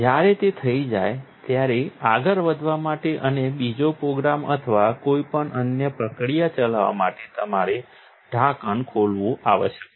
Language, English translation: Gujarati, When it is done, in order to go on and run another program or any other process, you must open the lid